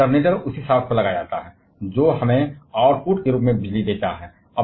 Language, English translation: Hindi, And alternator is mounted on the same shaft which gives us the electricity as the output